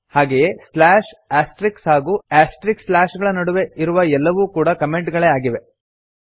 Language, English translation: Kannada, Similarly every thing that is in between slash Astrix , and Astrix slash is also a comment So let us remove this comments also